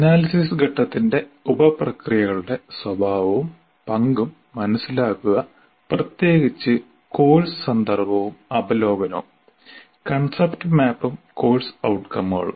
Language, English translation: Malayalam, And also understand the nature and role of sub processes of analysis phase, particularly course context and overview, concept map and course outcomes